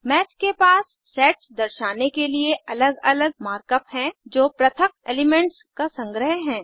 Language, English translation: Hindi, Math has separate mark up to represent Sets, which are collections of distinct elements